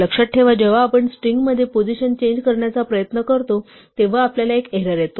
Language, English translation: Marathi, Remember when we try to change a position in a string we got an error